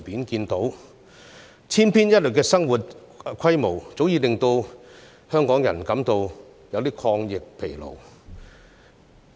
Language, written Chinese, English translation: Cantonese, 這種千篇一律的生活模式，早已令香港人感到有點抗疫疲勞。, Leading such a monotonous routine life Hong Kong people have already grown tired of fighting the virus